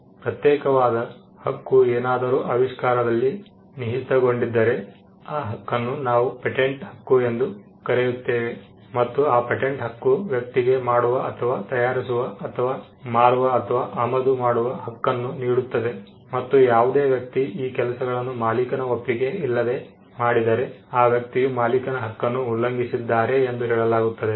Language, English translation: Kannada, If the exclusive right vests in an invention, we would call that right a patent right, and the patent right gives a person the liberty to make or manufacture to sell to offer for sale, to import, and to use the right in that invention, and any person who does these things without the consent of the right owner we would say that person has violated the right of the right owner